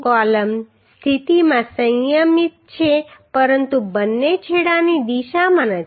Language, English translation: Gujarati, The column is restrained in position but not in direction of both ends